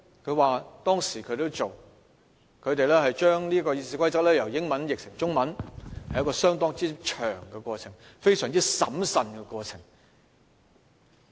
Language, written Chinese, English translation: Cantonese, 他說當時他們把《議事規則》由英文翻譯成中文，是一個相當漫長及審慎的過程。, He said that the process of translating the Standing Orders from English to Chinese years back was a long and prudent one